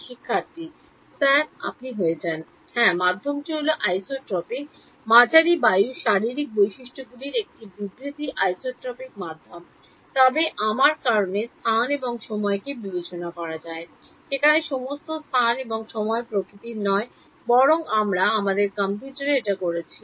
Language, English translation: Bengali, Yes, the medium is the isotropic is a statement of the physical properties of the medium air is isotropic medium, but by virtue of me discretizing space and time where who is discretizing space and time not nature we are doing it in our computer